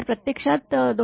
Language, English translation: Marathi, So, it is actually 223